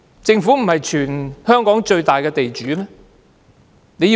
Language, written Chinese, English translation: Cantonese, 政府不是全港最大的地主嗎？, Isnt that the Government is the main landowner in Hong Kong?